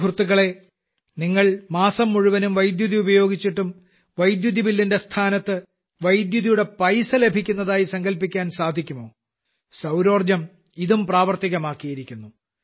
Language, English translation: Malayalam, Friends, can you ever imagine that on using electricity for a month, instead of getting your electricity bill, you get paid for electricity